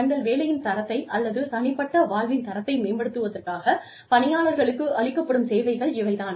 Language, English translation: Tamil, These are services provided to employees, to enhance the quality of their work, or personal lives